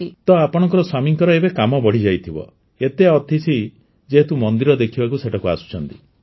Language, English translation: Odia, So your husband's work must have increased now that so many guests are coming there to see the temple